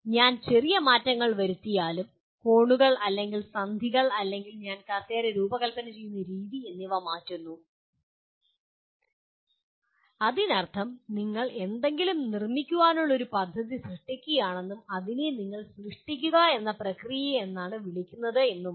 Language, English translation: Malayalam, Even if I make small changes, the angles or the joints or the way I design the chair it becomes that means you are creating a plan to fabricate something and that is what do you call is a create process